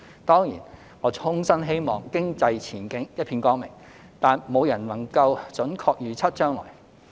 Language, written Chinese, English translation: Cantonese, 當然，我衷心希望經濟前景一片光明，但沒有人能準確預測將來。, Certainly I sincerely wish to have a bright economic future but no one can accurately predict the future